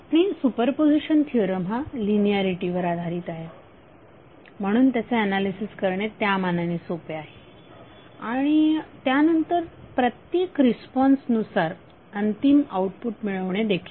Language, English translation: Marathi, And super position theorem is based on linearity, so it is easier to analyze and then at the responses individually to get the final outcome